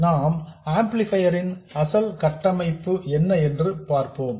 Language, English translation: Tamil, Let's go back to the original configuration of the amplifier